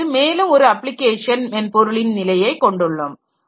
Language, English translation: Tamil, Then you have got another layer of application software